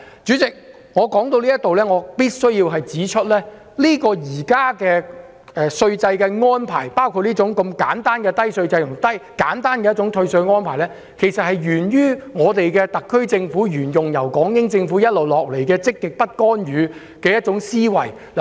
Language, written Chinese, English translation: Cantonese, 主席，我必須指出，現行的稅制安排，包括簡單低稅制和退稅安排，沿於特區政府延續港英政府一貫的積極不干預思維。, President I must point out that the existing taxation arrangements including the simple tax regime low tax rates and tax concessions have been upheld by the SAR Government as a continuation of the positive non - intervention mentality of the British Hong Kong Government